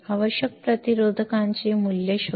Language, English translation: Marathi, Find the values of resistors required